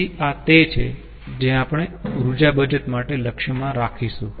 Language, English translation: Gujarati, so this is what ah we will ah target for energy saving